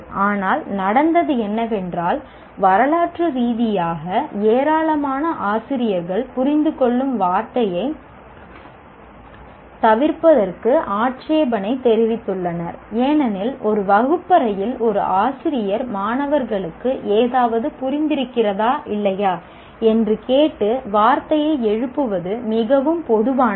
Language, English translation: Tamil, But what happened is historically a large number of faculty have objected to the, to avoiding the word understand because in a classroom it is very common for a teacher to raise the word asking the students whether they have understood something or not